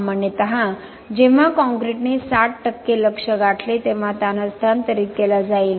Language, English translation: Marathi, Typically when the concrete attains its 60% of target strength, stress will be transferred